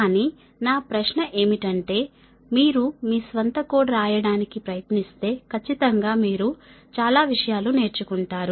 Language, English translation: Telugu, but my question is that if you try to write code of your own, then definitely you will learn many things, right